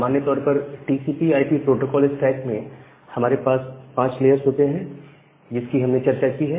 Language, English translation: Hindi, So, in general we have five layers in the TCP/IP protocol stack that we have talked about